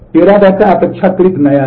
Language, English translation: Hindi, Teradata is relatively new